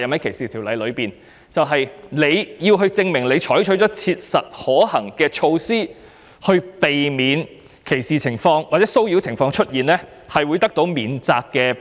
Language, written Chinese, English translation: Cantonese, 這些人士必須證明已採取切實可行的步驟，避免歧視或騷擾的情況出現，這樣才會有免責保護。, It is a defence for the persons to prove that they have taken practicable steps to prevent discrimination or harassment